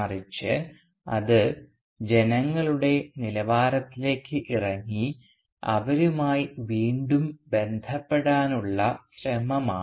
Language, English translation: Malayalam, But rather it was an attempt to go down to the level of the masses and to reconnect with them